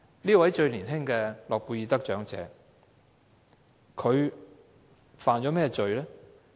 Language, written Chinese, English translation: Cantonese, 這位最年輕的諾貝爾和平獎得主犯了甚麼罪？, What sin has this youngest Nobel Peace Laureate committed?